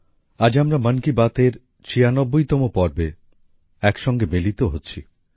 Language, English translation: Bengali, Today we are coming together for the ninetysixth 96 episode of 'Mann Ki Baat'